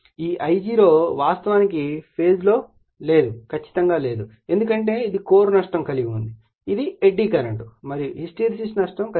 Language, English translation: Telugu, That you are this I0 actually not exactly in phase in phase with I write because it has some core loss that is iron loss that is eddy current and hysteresis loss